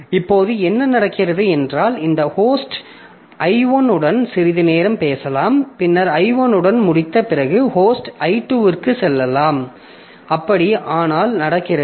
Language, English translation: Tamil, Now, what can happen is that this host may talk to I1 for some time and then after finishing with I1 so the host goes to I2, okay, so talks to him or her